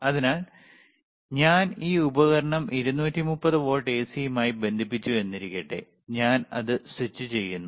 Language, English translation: Malayalam, So, I have connected this right device to the 230 volts AC and I am switching it on